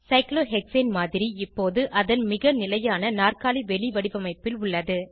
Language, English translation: Tamil, The model of Cyclohexane is now, in its most stable chair conformation